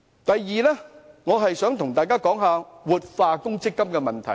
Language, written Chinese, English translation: Cantonese, 第二，我想跟大家談談活化強積金的問題。, Second I would like to talk about revitalizing MPF